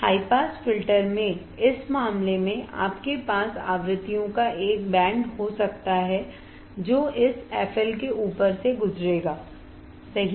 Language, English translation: Hindi, In this case in high pass filter, you can have a band of frequencies that will pass above this f L right